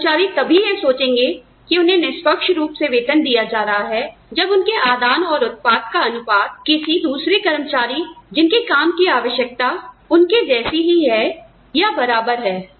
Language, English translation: Hindi, Employees will think that, they are fairly paid, when the ratio of their inputs and outputs, is equivalent to that of other employees, whose job demands are similar, to their own